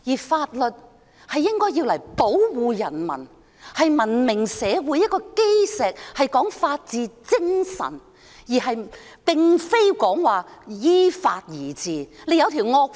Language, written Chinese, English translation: Cantonese, 法律應是保護人民的，文明社會的基石應是法治精神，並非依法而治。, The law should protect the people . The cornerstone of civilized society should be the spirit of the rule of law not the rule by law